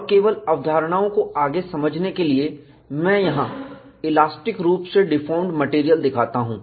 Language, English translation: Hindi, And just to understand the concepts further, I show the elastically deformed material here